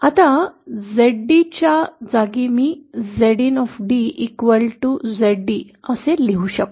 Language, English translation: Marathi, Now, in place of Zd I can also write this as Zind